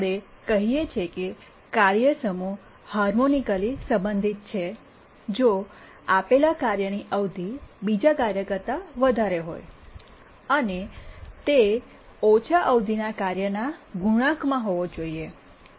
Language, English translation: Gujarati, We say that a task set is harmonically related if given that any task has higher period than another task, then it must be a multiple of the lower period task